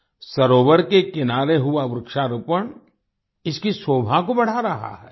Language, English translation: Hindi, The tree plantation on the shoreline of the lake is enhancing its beauty